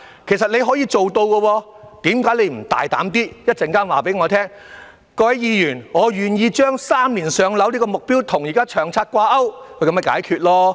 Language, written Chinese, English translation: Cantonese, 其實，你是可以做到的，為何你不大膽一點地在稍後告訴我們：各位議員，我願意將"三年上樓"這個目標與現時的《長策》掛鈎？, Actually you can make it so why not be more boldly to tell us later Honourable Members I am willing to link the objective of three - year waiting time for PRH allocation to the current LTHS?